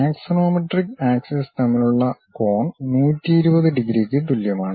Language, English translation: Malayalam, The angle between axonometric axis equals to 120 degrees